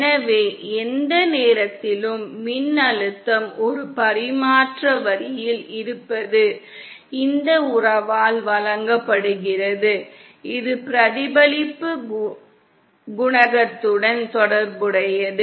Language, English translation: Tamil, So we saw that the voltage at any point is on a transmission line is given by this relationship which in turn is also related to the reflection coefficient